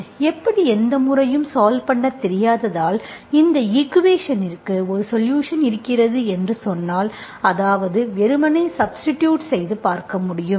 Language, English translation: Tamil, Because you do not know any method how to solve, now do you say that, if I say that this equation has a solution, which means you can only simply substitute and see, okay